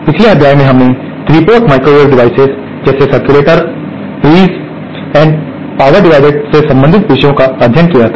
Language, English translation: Hindi, In the previous module we had covered the topics related to 3 port microwave devices like circulators, Tees and power divider